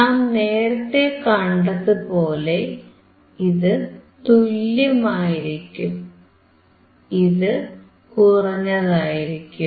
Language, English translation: Malayalam, We have seen that, this would be same, and this would be less than